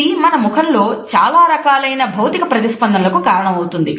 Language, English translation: Telugu, It results into various physical responses on our face